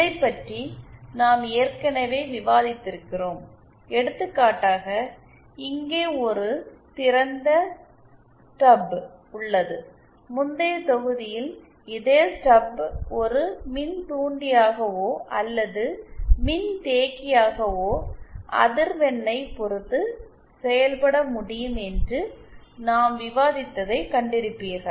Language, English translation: Tamil, Now, this we have already discussed, for example, here is a open Stub, you saw that in the previous module we had discussed that the same stub can act as as a inductor or as a capacitor depending on the length or the frequency